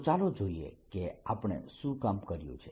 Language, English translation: Gujarati, so let us see what we had worked on